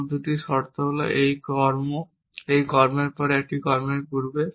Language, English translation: Bengali, The other two conditions are that this action happens after this action and before this action